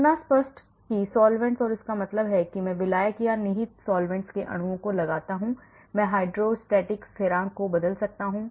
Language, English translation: Hindi, So explicit solvents, and that means I put the molecules of solvent and or implicit solvents, I can change the dielelctric constant